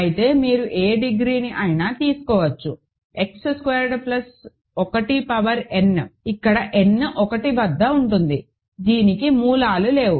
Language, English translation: Telugu, Whereas, any degree you can take, X Square plus 1 power n, where n is at 1, this has no roots